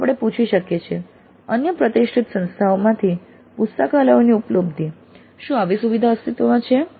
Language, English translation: Gujarati, So we can ask access to libraries from other institutes of repute, does a facility exist